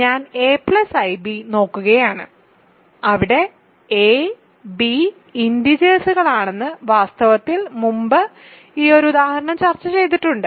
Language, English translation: Malayalam, I am looking at a plus ib, where a b are integers So, in fact, this I have already discussed this example before